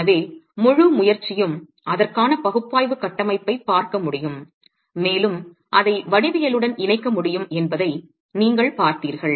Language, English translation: Tamil, So, the whole attempt is to be able to look at an analytical framework for it and you've seen that it's possible to link it to the geometry